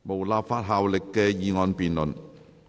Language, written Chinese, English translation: Cantonese, 無立法效力的議案辯論。, Debate on motion with no legislative effect